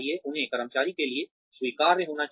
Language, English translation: Hindi, They should be acceptable to the employee